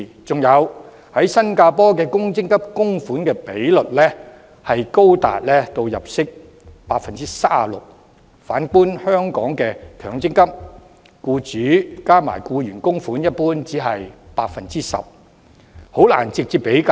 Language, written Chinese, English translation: Cantonese, 再者，新加坡公積金供款比率高達僱員入息的 37%， 反觀香港的強積金，僱主加上僱員供款的比率一般只是 10%， 難以直接比較。, Furthermore in Singapore the MPF contribution rate is as high as 37 % of the employees income . In Hong Kong generally speaking the total contribution rate from both employers and employees is 10 % only . It is difficult to make direct comparisons between the two